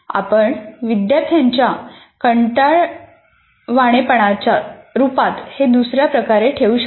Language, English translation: Marathi, You may put it in another way, student boredom